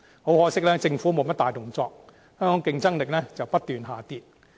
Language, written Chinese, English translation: Cantonese, 很可惜，政府沒有甚麼大動作，香港的競爭力卻不斷下跌。, But unfortunately the Government does not take it seriously and our competitiveness keeps on dropping